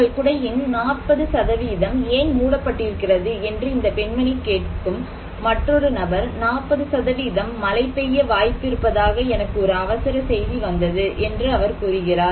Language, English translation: Tamil, Or maybe another person whom this lady is asking that why 40% of your umbrella is covered, he said I received an emergency message is saying that there is a chance of 40% rain